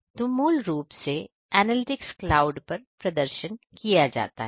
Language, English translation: Hindi, So, So, basically the analytics is performed at the cloud